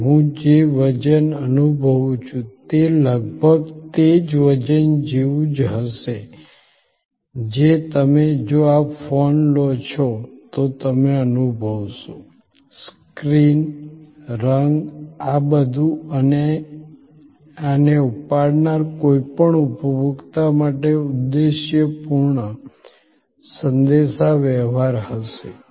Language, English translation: Gujarati, So, the weight that I feel will be almost similar to the weight that you will feel if you take this phone, the screen, the color all these will be objective communication to any consumer who takes this up